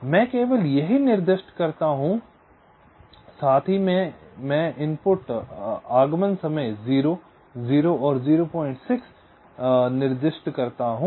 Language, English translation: Hindi, so i specify not only this, also i specify the input arrival times: zero, zero and point six